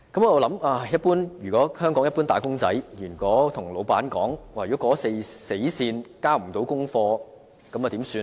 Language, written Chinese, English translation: Cantonese, 我在想，如果香港一般"打工仔"告訴老闆，過了死線也未可交出功課，那怎麼辦呢？, I am thinking if an employee in Hong Kong tells the boss that he cannot meet the working deadline what consequences he will be facing